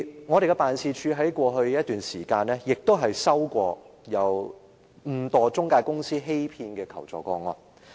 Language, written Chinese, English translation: Cantonese, 我們的辦事處在過去一段時間亦曾收到誤墮中介公司騙局的求助個案。, During the period in the past our offices received assistance requests from victims inadvertently falling into loan traps of financial intermediaries